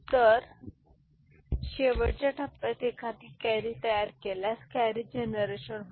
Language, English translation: Marathi, So, in the final stage if a carry is generated carry is generated